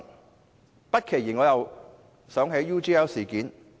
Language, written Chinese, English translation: Cantonese, 我不期然想起了 UGL 事件。, This reminds me of the UGL incident